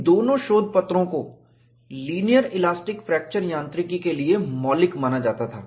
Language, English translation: Hindi, These two papers were considered as fundamental ones for linear elastic fracture mechanics